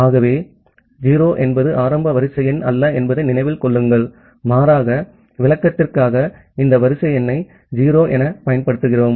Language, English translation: Tamil, So, remember that 0 is not the initial sequence number rather here just for explanation we are utilizing this sequence number as 0